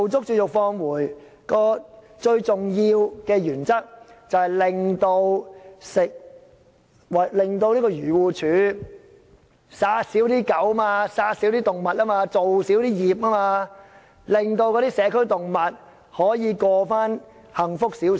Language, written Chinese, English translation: Cantonese, 試驗計劃最重要的原則，是令漁護署減少殺死狗隻和動物，少造孽，令社區動物可以重過比較幸福的生活。, The most important principle of the Trial Programme is to reduce AFCDs killing of dogs and animals . This can in turn reduce its sins and enable animals to live a better life in communities